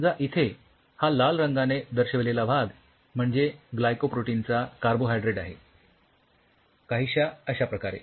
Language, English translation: Marathi, Suppose let it join the carbohydrate part of the glycoprotein something like this